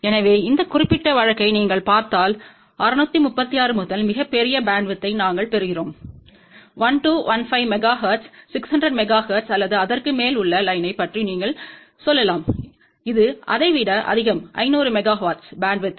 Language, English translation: Tamil, So, here if you see for this particular case we are getting a much larger bandwidth, 636 to 1215 megahertz, this is you can say of the order of close to 600 megahertz or over here, it is more than 500 megahertz bandwidth